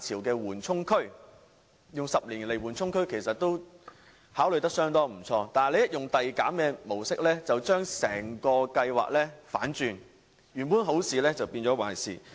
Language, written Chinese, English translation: Cantonese, 用10年作為緩衝區這個主意相當不錯，但一旦使用遞減的模式，便將整個計劃反轉，原本好事變壞事。, This is contrary to the funds original objective as a buffer to avoid redundancy waves . Using 10 years as a buffer is quite a good idea but the progressive reduction model will turn the entire programme upside down rendering an otherwise good initiative bad